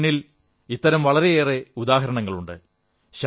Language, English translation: Malayalam, There are many such examples before us